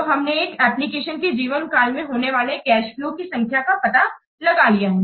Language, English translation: Hindi, So, we have to find out the total value of the cash flows for the whole lifetime of the application